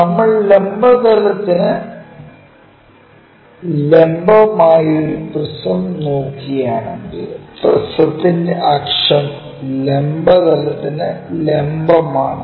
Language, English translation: Malayalam, Similarly, if we are looking at a prism perpendicular to vertical plane, so, axis of the prism is perpendicular to vertical plane